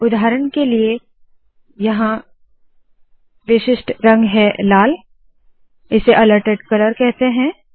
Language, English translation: Hindi, For example, here the alerted color is red, this is known as alerted color